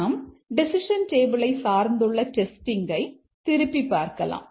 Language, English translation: Tamil, Let's revisit the decision table based testing